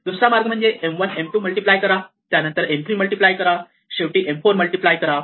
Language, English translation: Marathi, And other way of doing it would be to say do M 1, M 2 and then do that multiplied by M 3 and then M 4 and so on